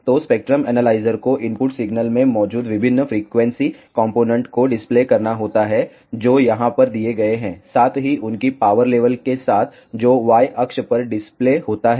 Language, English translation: Hindi, So, the spectrum analyzer has to display various frequency components present in the input signal which is given over here, along with their power levels which is displayed on the Y axis